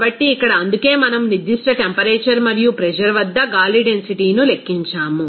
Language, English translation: Telugu, So, here that is why we actually calculated the density of air at that particular temperature and pressure